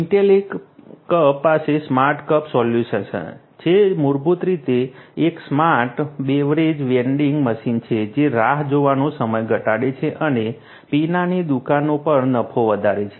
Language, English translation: Gujarati, Intellicup has the smart cups solution which basically is a smart beverage vending machine which reduces the waiting time and increases the profit at the beverage shops